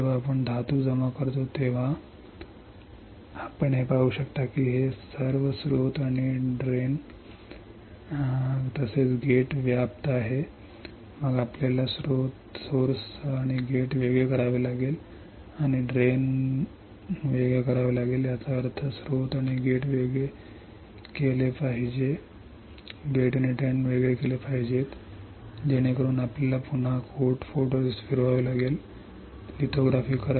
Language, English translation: Marathi, When we deposit the metal you can see this it is covering all the area source and as well as gate, then we have to separate the source and gate and drain; that means, source and gate should be separated, gate and drain should be separated to do that you have to again spin coat photoresist, do the lithography and then you can see there is a separation, then once the separation is there you had to etch the metal from here